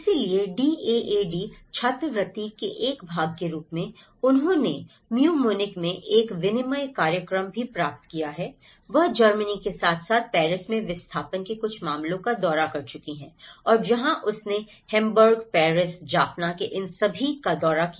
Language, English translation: Hindi, So, as a part of the DAAD scholarship, she also got an exchange program in Tu Munich and she have visited some of the cases of the displacement cases in the Germany as well and Paris and where she visited all these in Hamburg, Paris, Jaffna